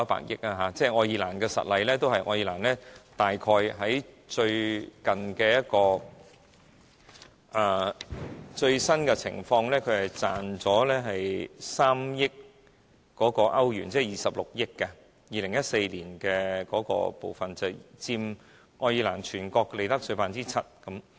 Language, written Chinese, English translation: Cantonese, 以愛爾蘭為實例，最新情況是賺了3億歐元，即26億港元 ，2014 年那部分已佔愛爾蘭全國利得稅 7%。, Take Ireland as an example . Latest figures indicate a tax revenue of €300 million that is HK2.6 billion . Tax collected from this sector alone in 2014 accounted for 7 % of the overall revenue from profits tax in Ireland